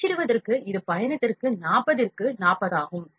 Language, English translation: Tamil, For printing it is 40 and 40 for travel